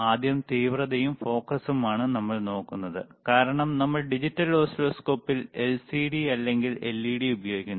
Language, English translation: Malayalam, So, first is the intensity and focus right, because in that we have we are using in digital oscilloscope either LCD or LED